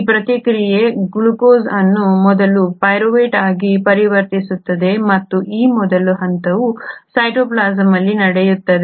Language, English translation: Kannada, This process where the glucose first gets converted to pyruvate and this first step happens in the cytoplasm